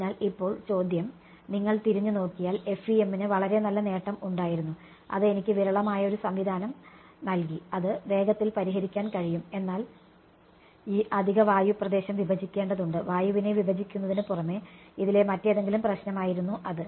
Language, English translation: Malayalam, So, now, question is if you look back FEM had a very good advantage that gave me a sparse system can quickly solve it ok, but this extra air region had to be discretized, apart from discretizing air it was the any other problem with it